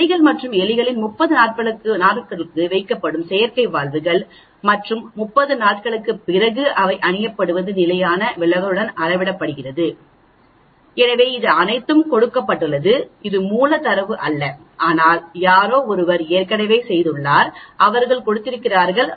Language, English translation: Tamil, Artificial valves where placed in rats and mouse for 30 days and they wear after 30 days were measured with the standard deviation so it is all given, it is not raw data but somebody has already done it and they have given it